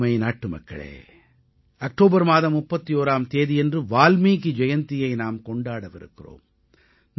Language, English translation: Tamil, On the 31st of October we will also celebrate 'Valmiki Jayanti'